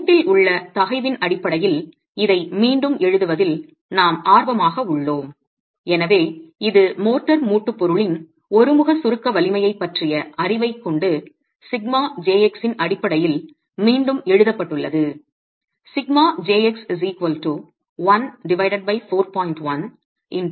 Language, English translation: Tamil, We are interested in rewriting this in terms of the stress in the joint and therefore it's just rewritten in terms of sigma j x with the knowledge of the uniaxial compressive strength of the motor joint material itself